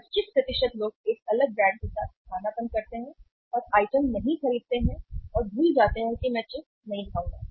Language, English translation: Hindi, 25% people or say 25% people substitute with a different brand like and do not purchase item forget I will not eat chips